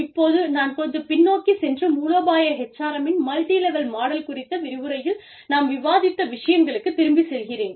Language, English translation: Tamil, And, i will just go back to, what we discussed in the lecture on multi level, here, the multilevel model of strategic HRM